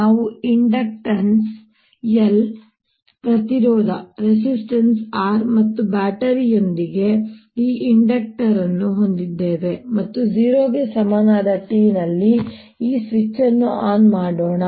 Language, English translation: Kannada, we have this inductor with inductance l, a resistance r and a battery, and let's turn this switch on at t equal to zero